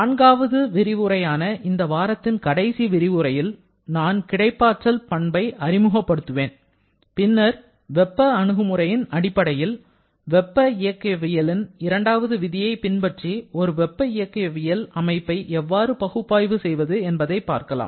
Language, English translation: Tamil, And in the next lecture, which is going to fourth and last one for this week, I shall be introducing the property exergy and then we shall be seeing how to analyze a thermodynamic system following the second law of thermodynamics based upon the exergy approach